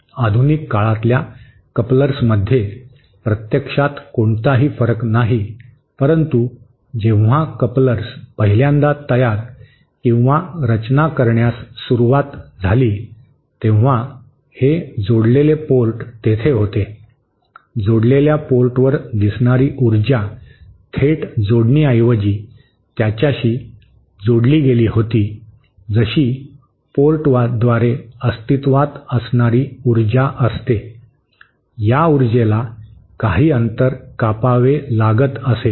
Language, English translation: Marathi, There is actually no difference in modern day couplers but when couplers 1st began to be manufactured or designed, it was that there was this this coupled port, the energy appearing at the coupled port was kind of coupled to it rather than direct connection as that existed in through port, the energy would have to travel over a gap or something like that